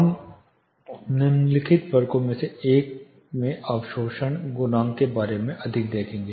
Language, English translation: Hindi, We will look at more about absorption coefficients in one of the following sections